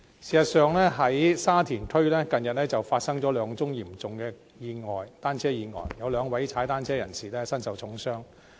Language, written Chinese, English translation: Cantonese, 事實上，沙田區近日發生兩宗嚴重的單車意外，有兩名踏單車人士身受重傷。, Actually two serious accidents involving bicycles occurred in Sha Tin recently causing serious injuries to two cyclists